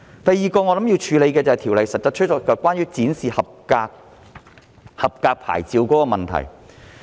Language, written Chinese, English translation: Cantonese, 第二個我認為要處理的問題，就是《條例草案》中關於展示合格牌照的問題。, The second issue that I think needs addressing is the display of safety approval plates SAPs as required by the Bill